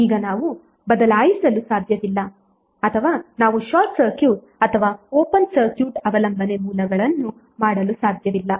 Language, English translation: Kannada, Now we cannot change or we cannot short circuit or open circuit the dependence sources